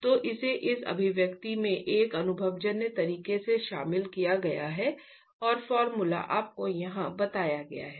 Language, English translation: Hindi, So, it's included in an empirical manner in this expression